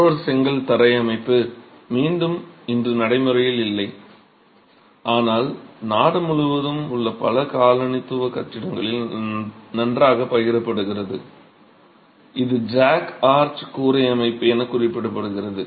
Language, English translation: Tamil, Another brick flow system that is, again, not a system that is prevalent today, but can be found very well distributed in many colonial buildings across the country is referred to as a jack arch roof system